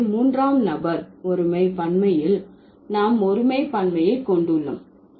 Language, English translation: Tamil, So, third person, third person pronoun singular plural, then we have noun singular plural